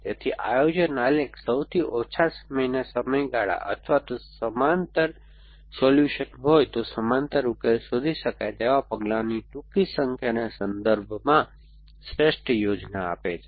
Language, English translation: Gujarati, So, the planning graph gives as a optimal plan in terms of the most the shortest times span or the shortest number of the steps in which parallel solutions can be found if there is a parallels solution